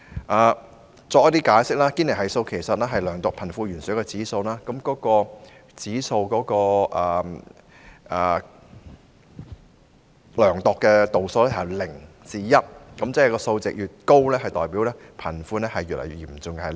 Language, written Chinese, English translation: Cantonese, 我在此稍作解釋，堅尼系數是量度貧富懸殊的指數，指數所量度的度數由0至 1， 數值越高代表貧富懸殊越嚴重。, Let me give a brief explanation here . The Gini coefficient is an index measuring the disparity between the rich and the poor with values ranging from 0 to 1 whereas a greater value denotes the more serious disparity between the rich and the poor